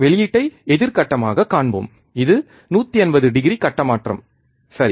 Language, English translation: Tamil, We will see output which is opposite phase, this is 180 degree phase shift, alright